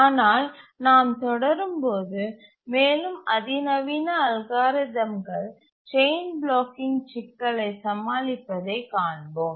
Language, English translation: Tamil, But we'll see that more sophisticated algorithms overcome the chain blocking problem